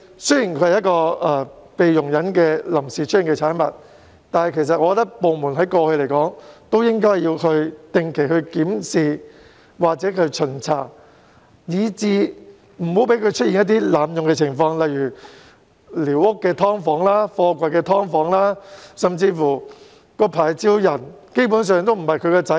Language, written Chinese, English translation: Cantonese, 雖然寮屋是臨時出現的產物，但依我之見，政府部門其實應在過去定期進行檢視或巡查，以杜絕各種濫用情況，例如寮屋"劏房"、貨櫃"劏房"，甚至持牌人並非寮屋原居民的子女。, For all that squatter structures are only something provisional but in my opinion relevant government departments should still have conducted regular reviews or inspections in the past so as to eradicate various types of abuse such as converting squatter structures and containers into subdivided units and there are even cases in which the licensees are not the children of the original occupants of the squatter huts